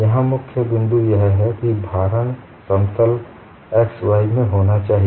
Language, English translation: Hindi, The key point here is loading should be in the plane x y